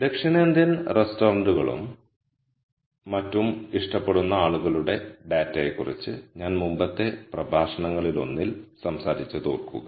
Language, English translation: Malayalam, Remember in one of the earlier lectures I talked about data for people who like south Indian restaurants and so on